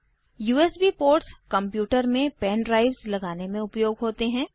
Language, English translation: Hindi, The USB ports are used to connect pen drives to the computer